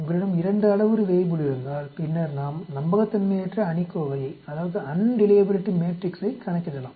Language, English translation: Tamil, If you have 2 parameter Weibull then we can calculate the unreliability matrix